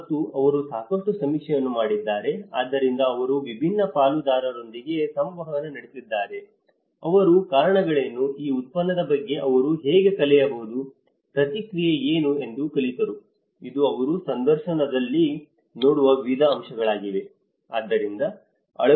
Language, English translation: Kannada, And they have done a lot of survey in that so, they have interacted with a variety of stakeholders they learnt what are the reasons, how they could learn about this product, how what is the feedback about it so; this is a variety of aspects they look at interview